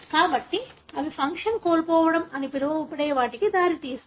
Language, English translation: Telugu, So, they result in what is called as loss of function